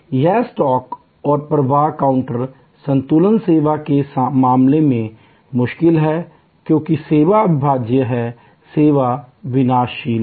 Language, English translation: Hindi, This stock and flow counter balancing is difficult in case of service, because service is inseparable, service is perishable